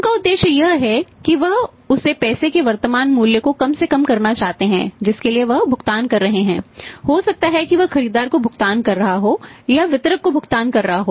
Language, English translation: Hindi, Their objective is that they want to minimise the present value of the money which they are making the payment may be the buyer making a payment to the distributor or distributors making the payment to the manufacturer